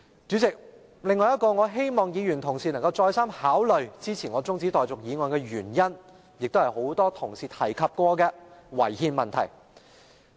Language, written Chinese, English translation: Cantonese, 主席，我希望議員同事能再三考慮支持我的中止待續議案，另一原因亦是很多同事曾提及的違憲問題。, President I hope Honourable colleagues can carefully reconsider supporting my motion of adjournment . Another reason is the violation of the constitution as many Honourable colleagues have raised